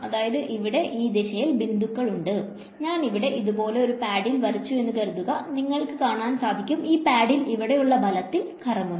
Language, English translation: Malayalam, So, these are pointing in this direction these are pointing in this direction, supposing I put a paddle over here like this, you can see that these forces will make this paddle rotate over here